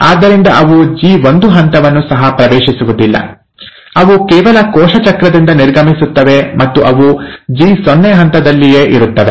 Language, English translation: Kannada, So they do not even enter the G1 phase, they just exit the cell cycle and they stay in what is called as the G0 phase